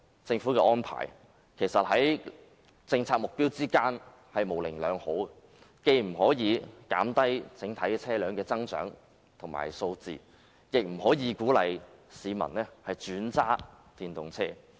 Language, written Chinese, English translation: Cantonese, 政府這項安排，確實違背其政策目標，既無法減低整體車輛的增長和數目，亦不能鼓勵市民轉為駕駛電動車。, This arrangement of the Government is really inconsistent with its policy objectives . It can neither reduce the growth or the total number of vehicles nor encourage the public to drive electric cars